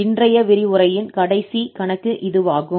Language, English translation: Tamil, Well, so this is the last problem of today's lecture